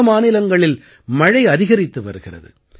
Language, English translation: Tamil, Rain is increasing in many states